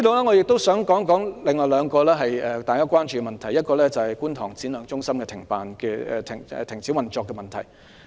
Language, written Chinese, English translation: Cantonese, 我亦想談談另外兩個大家關注的問題，其一是觀塘展亮技能發展中心停止運作的問題。, Also I wish to talk about two other issues that are of concern . One is the Shine Skills Centre in Kwun Tong that will cease operation